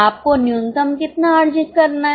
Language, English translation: Hindi, How much you have to earn minimum